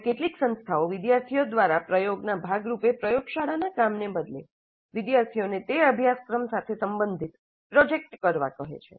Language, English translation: Gujarati, Now some institutes, instead of making the laboratory work as a part of the practice by the students are asking the students to do a project related to that course work